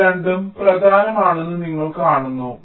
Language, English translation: Malayalam, you see, both of these are important